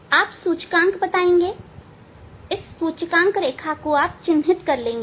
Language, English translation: Hindi, Here you can see there is a mark index, you tell index mark index line